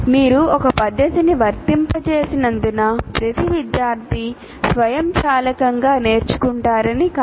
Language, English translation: Telugu, Just because you applied a method, it doesn't mean that every student automatically will learn